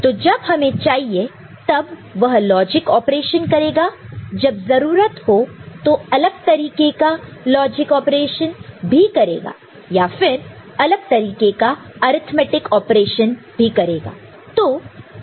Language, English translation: Hindi, So, when we require it will do some logic operation, in when required it will do a different logic operation or it might do an arithmetic operation of one kind or the other